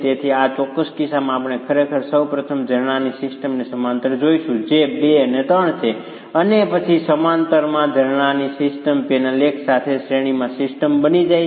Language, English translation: Gujarati, So, in this particular case, we are really going to be first looking at the system of springs in parallel which is 2 and 3 and then the system of springs in parallel becomes a system in series with the panel 1